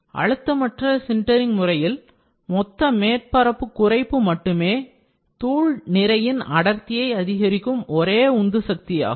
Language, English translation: Tamil, For pressure less sintering a reduction in total surface area is the only driving force for the densification of the powder mass